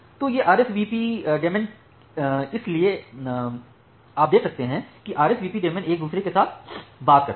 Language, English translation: Hindi, So, these RSVP daemons; so, you can see that these RSVP daemons they talk with each other